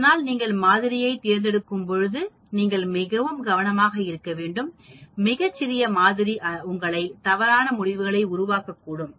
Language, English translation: Tamil, So, you must be very careful when you select sample, a very small sample can make you conclude wrongly